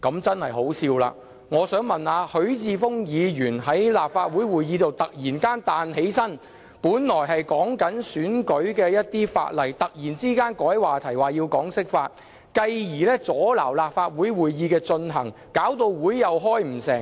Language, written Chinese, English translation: Cantonese, 實在太可笑了，我想問問許智峯議員，之前他在立法會會議上突然站起來轉換話題，本來討論的是選舉法例，卻被他改為討論人大釋法，繼而阻撓立法會會議進行，令會議開不成。, This is ridiculous . What ahout Mr HUI Chi - fungs sudden rise in the middle of the meeting when we were talking about electoral law and his changing of the subject to talking about the National Peoples Congresss interpretation of the Basic Law thus impeding the conduct of proceedings